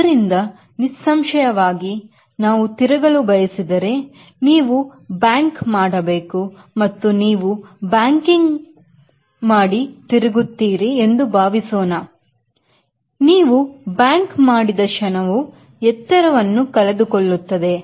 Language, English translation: Kannada, so obviously, if you want to turn, you have to bank, and what you are banking and turning, the moment you bank, it will lose the height